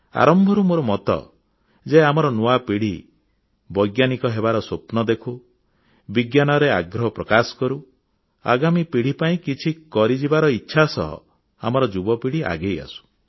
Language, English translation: Odia, I have believed it right from the beginning that the new generation should nurture the dream of becoming scientists, should have keen interest in Science, and our youngsters should step forward with the zeal to do something for the coming generations